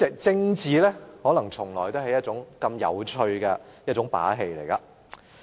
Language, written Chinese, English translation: Cantonese, 政治可能從來都是一個有趣的遊戲。, Perhaps politics has always been an interesting game